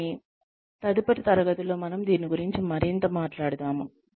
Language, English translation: Telugu, But, we will talk more about this, in the next class